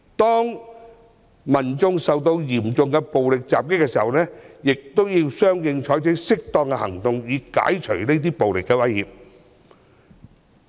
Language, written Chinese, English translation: Cantonese, 當民眾受到嚴重暴力襲擊時，警方要相應採取適當行動以解除暴力威脅。, When members of the public were violently attacked the Police had to take corresponding actions to remove the threat of violence